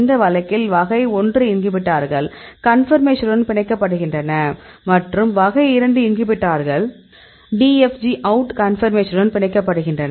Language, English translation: Tamil, In this case type 1 inhibitors bind with in conformation and type 2 inhibitors; they bind with DFG OUT conformation